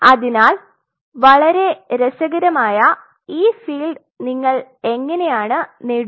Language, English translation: Malayalam, So, this is how you achieve these very interesting field